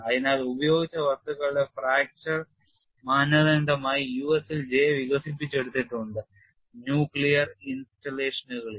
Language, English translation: Malayalam, So, J is developed in the USA as a fracture criterion for materials used in nuclear installations